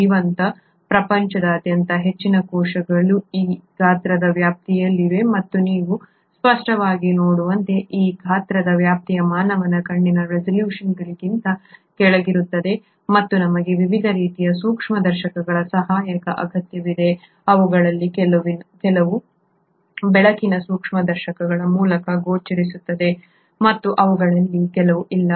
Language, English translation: Kannada, Most of the cells across the living world are in this size range and as you can obviously see this size range is way below the resolution of human eye and we need the aid of different kinds of microscopes, some of them are visible through light microscopes some of them arenÕt